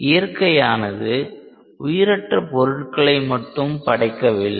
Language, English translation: Tamil, Now, nature is not just made of inanimate objects